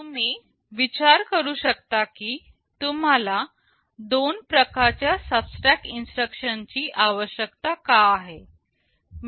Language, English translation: Marathi, You may ask why you need two kinds of subtract instruction